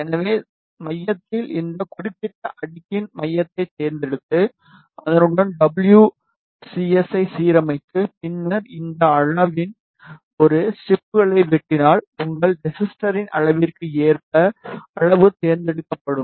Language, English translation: Tamil, So, at the centre just select the centre of this particular layer and then align WCS with that and then you cut a strip of this size, you select the size as per your resistor size